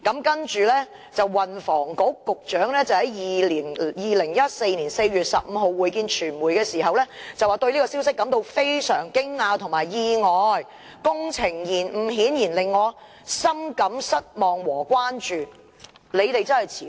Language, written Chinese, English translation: Cantonese, 他其後在2014年4月15日會見傳媒時說："對這個消息我是感到非常驚訝和意外，工程延誤顯然令我深感失望和關注。, Subsequently on 15 April 2014 during the course of meeting with the press he said I have to say I was totally caught by surprise by such information and obviously I felt very disappointed and deeply concerned about the delay